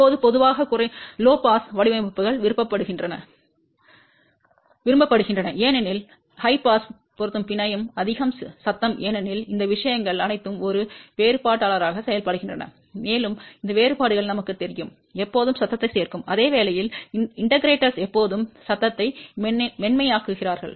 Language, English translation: Tamil, Now, generally low pass designs are preferred as high pass matching network have more noise because all these things are acting as a differentiator and we know that differentiators are always adding noise whereas, integrators are always smoothening out the noise